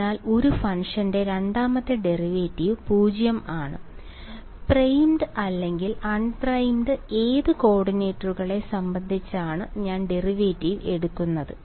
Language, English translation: Malayalam, So, second derivative of a function is 0 I am taking the derivative with respect to which coordinates primed or unprimed